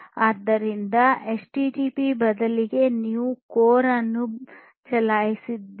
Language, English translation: Kannada, So, you know instead of HTTP you run CORE